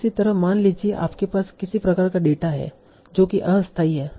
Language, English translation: Hindi, Similarly, suppose you have some sort of data where that is temporal